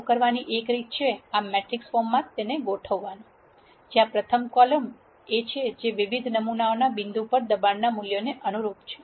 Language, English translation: Gujarati, One way to do this is to organize this in this matrix form, where the rst column is the column that corresponds to the values of pressure at di erent sample points